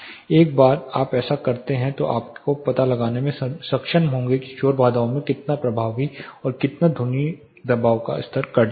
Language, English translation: Hindi, Once you do this you will be able to find how effective and how much sound pressure level is been cut by the noise barriers